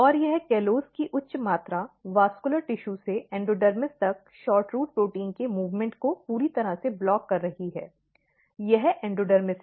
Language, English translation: Hindi, And this high amount callose are totally blocking movement of SHORTROOT protein from vascular tissue to endodermis; this is endodermis